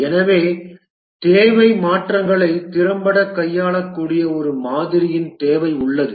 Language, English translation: Tamil, And therefore there is need for a model which can effectively handle requirement changes